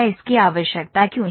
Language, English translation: Hindi, Why is this required